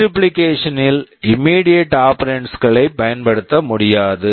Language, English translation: Tamil, And in multiplication immediate operations cannot be used